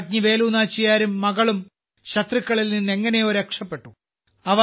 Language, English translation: Malayalam, Queen Velu Nachiyar and her daughter somehow escaped from the enemies